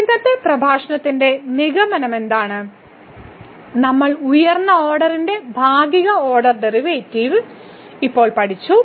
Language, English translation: Malayalam, So, what is the conclusion for today’s lecture we have now learn the partial order derivative of higher order